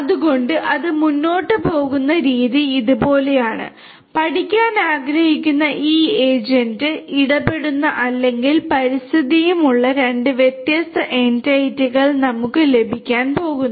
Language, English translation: Malayalam, So, the way it you know it proceeds is like this that we are going to have we are going to have two different entities this agent which wants to learn and this environment on which or with which this agent interacts